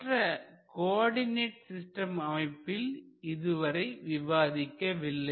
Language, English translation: Tamil, but we have not looked into the other coordinate systems